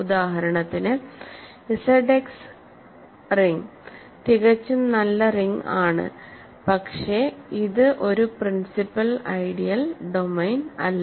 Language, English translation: Malayalam, For example, the ring Z x is perfectly good ring, but it is not a principal ideal domain